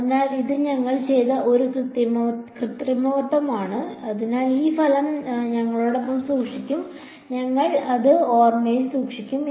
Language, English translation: Malayalam, So, this is one manipulation that we did, so, we will keep this result with us we hold it in memory